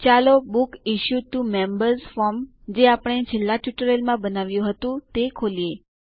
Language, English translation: Gujarati, Let us open Books Issued to Members form that we created in the last tutorial